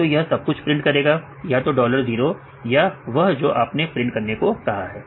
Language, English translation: Hindi, It will print, the entire, either print dollar 0 or you just give print